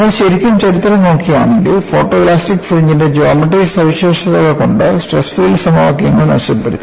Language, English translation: Malayalam, If you really look at the history, the stress field equations have been improved by looking at the geometric features of the photoelastic fringe